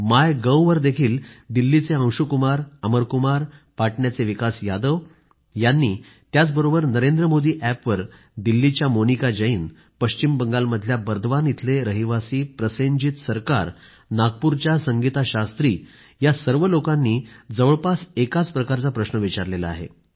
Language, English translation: Marathi, Anshu Kumar & Amar Kumar from Delhi on Mygov, Vikas Yadav from Patna; on similar lines Monica Jain from Delhi, Prosenjit Sarkar from Bardhaman, West Bengal and Sangeeta Shastri from Nagpur converge in asking a shared question